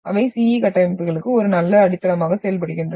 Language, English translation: Tamil, So they act as an good foundation for the CE structures